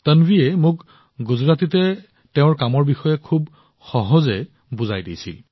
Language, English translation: Assamese, Tanvi told me about her work very simply in Gujarati